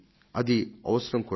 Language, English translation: Telugu, This was necessary